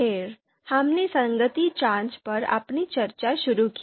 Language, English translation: Hindi, Then we started our discussion on consistency check